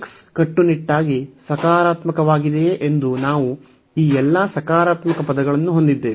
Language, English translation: Kannada, So, we have all these positive term whether x is strictly positive